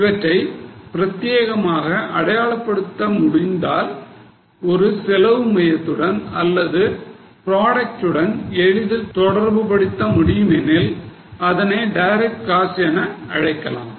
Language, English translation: Tamil, If they can be identified exclusively, if it is possible to relate them easily to a cost center or a product, we'll call it as a direct cost